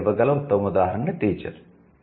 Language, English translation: Telugu, The best example I can give teacher